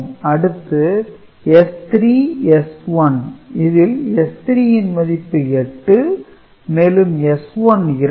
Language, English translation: Tamil, So, S 3 stands for 8 and S 2 stands for 4 so, 8 plus 4 12